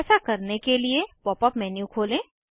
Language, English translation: Hindi, To view different surfaces, open the pop up menu